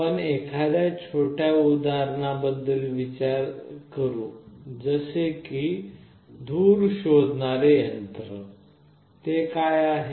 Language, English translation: Marathi, If you think of a small example, let us say a smoke detector, what is it